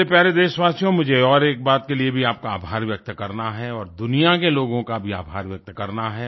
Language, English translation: Hindi, My dear countrymen, I must express my gratitude to you and to the people of the world for one more thing